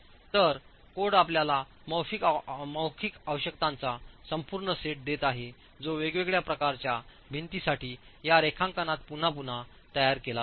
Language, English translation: Marathi, So what the code gives you an entire set of verbal requirements which is again reproduced here in this drawing for the different types of walls